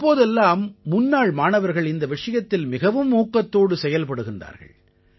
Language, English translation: Tamil, Nowadays, alumni are very active in this